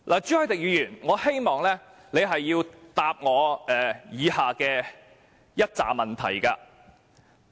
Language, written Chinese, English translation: Cantonese, 朱凱廸議員，我希望你回答我以下的一些問題。, Mr CHU Hoi - dick I hope you can answer these following questions